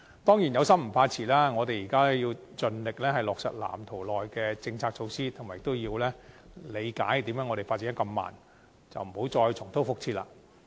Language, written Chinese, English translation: Cantonese, 當然，有心不怕遲，我們現在要盡力落實《藍圖》內的政策措施，亦要理解我們為何發展得這麼慢，不要再重蹈覆轍。, Certainly it is never too late to catch up . But while striving to implement all the policy measures set out in the Blueprint we must learn the reason for our slow progress and avoid making the same mistake again